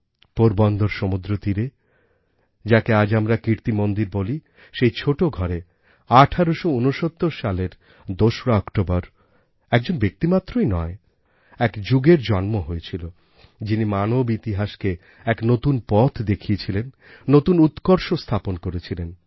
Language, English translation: Bengali, On the 2nd of October, 1869, at the beach of Porbandar, in Kirti Mandir as it is known today,… in that tiny abode, not just a person; an era was born, that charted the course of human history on an altogether new path, with trail blazing accomplishments on the way